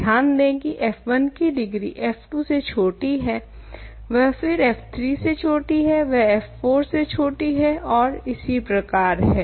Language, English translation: Hindi, Note that degree of f 1 is less than degree of f 2, less than degree of f 3, less than degree of f 4, and so on